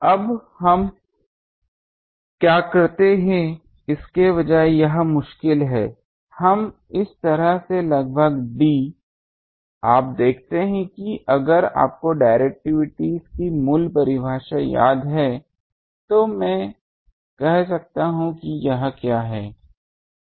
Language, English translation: Hindi, Now this is difficult instead what we do; we approximate d by like this, you see if you remember the basic definition of directivity then I can say what is it